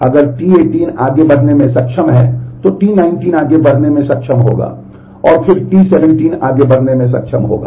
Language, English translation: Hindi, And if T 18 is able to proceed then T 19 would be able to proceed, and then T 17 would be able to proceed